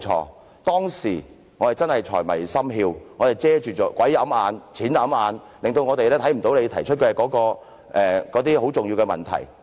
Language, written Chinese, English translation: Cantonese, 我們當時真是財迷心竅，錢掩眼，致令到我們看不到你提出的重要問題。, Back then our minds were overwhelmed by wealth and our eyes blinded by money and we failed to see the significant issues pointed out by you